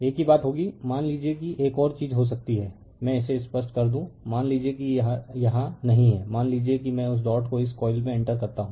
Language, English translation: Hindi, Same thing will happen suppose another thing can happen let me clear it same thing suppose dot is not here suppose I put that dot here of this coil